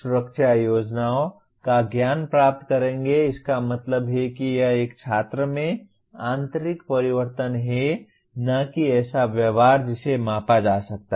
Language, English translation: Hindi, Will get knowledge of protection schemes means it is internal change in a student and not a behavior that can be measured